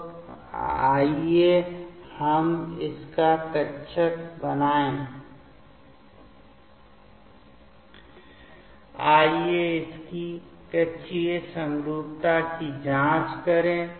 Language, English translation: Hindi, So, let us draw its orbital, let us check its orbital symmetry